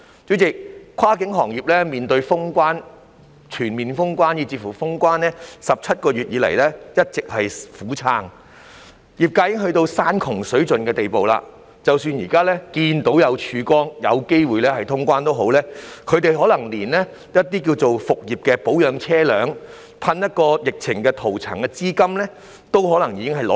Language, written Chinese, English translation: Cantonese, 主席，跨境運輸行業面對全面封關 ，17 個月以來一直苦撐，業界人士已經到了山窮水盡的地步，即使現時看到了曙光，有機會通關也好，他們可能連復業前保養車輛、噴防疫塗層的資金也拿不出來。, President in the face of a total border shutdown the cross - boundary transport sector has been keeping their heads above water for 17 months . Members of the industry are already at the end of their rope and even if there is now a ray of hope and the likelihood that cross - border travel will be resumed they may not even be able to get the funds to maintain their vehicles and spray anti - viral coatings before resuming operation